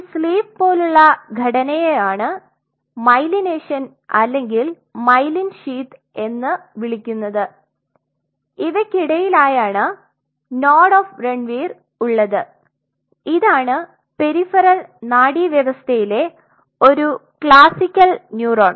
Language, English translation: Malayalam, This sleeve like a structure is what it will be written as myelination or myelin sheath and in between out here you will see written nodes of Ranvier on the contrary, so this is a classic neuron which is in the peripheral nervous system